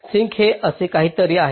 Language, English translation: Marathi, sink is something like this